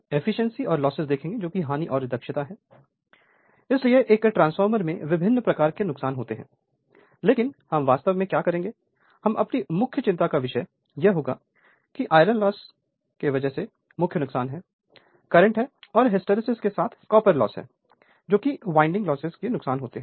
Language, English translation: Hindi, Now, Losses and Efficiency; so, in a transformer different types of losses are there, but what we will do actually we will come our main concern will be that iron loss that is core loss that is eddy current and hysteresis are together and the copper loss that is the I square R loss in the winding resistance right